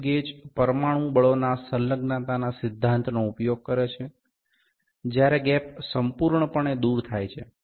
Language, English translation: Gujarati, Slip gauges uses the principle of the adhesion of the molecular forces, when the gap is completely removed